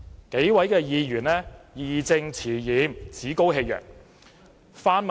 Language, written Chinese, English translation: Cantonese, 這數位議員義正詞嚴，趾高氣揚。, These Members have spoken arrogantly and sternly from a sense of justice